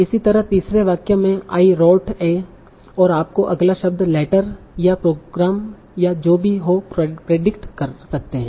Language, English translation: Hindi, Similarly, in the third sentence, I wrote a and you can predict letter or program or whatever